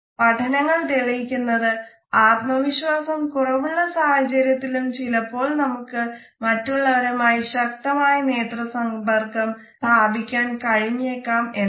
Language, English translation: Malayalam, Studies have also shown us that sometimes we may not feel very confident in our heart, but at the same time we are able to manage a strong eye contact with others